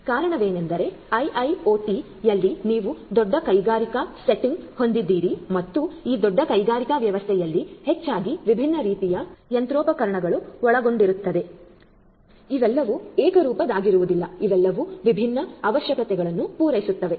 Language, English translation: Kannada, The reason is that in IIoT you have a large industrial setting and in this large industrial setting consisting of largely different types of machinery not all of which are homogeneous all of which are catering to different different requirements and so on